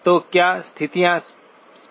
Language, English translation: Hindi, So are the conditions clear